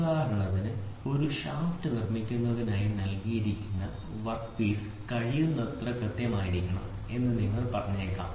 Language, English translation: Malayalam, For example, you might say the work piece which is given for producing a shaft should be as precise as possible fine